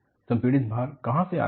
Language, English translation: Hindi, Where do the compressive loads come